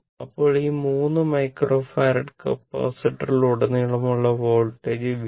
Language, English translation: Malayalam, Then, voltage across these 3 microfarad capacitor is V 4